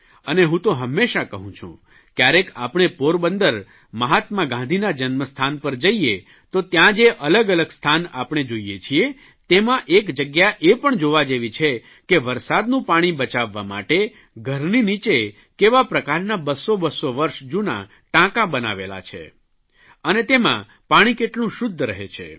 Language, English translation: Gujarati, I have always said that people who visit Porbandar, the birthplace of Mahatma Gandhi, can also see there the underground tanks constructed about 200 years ago, that were built to save rain water